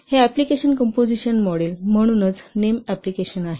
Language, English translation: Marathi, So this application composition model, that's why the name is application